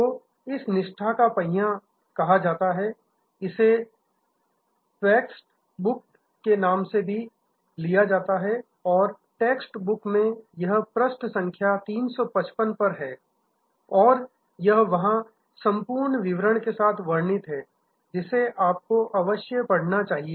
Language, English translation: Hindi, So, this is called the wheel of loyalty, this is also taken from the text book and in the text book, this is at page number 355 and we will, it is described in much more detail there and you must read